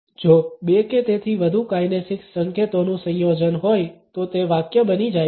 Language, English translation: Gujarati, If there is a combination of two or more kinesics signals it becomes a sentence